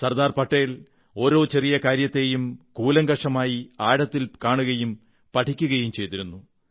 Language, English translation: Malayalam, Sardar Patel used to observe even the minutest of things indepth; assessing and evaluating them simultaneously